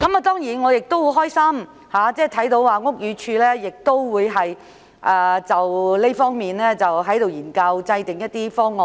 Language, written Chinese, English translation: Cantonese, 當然，我樂見屋宇署就這方面作研究，制訂一些方案。, Certainly I am glad to see that BD is conducting studies and drawing up some proposals in this regard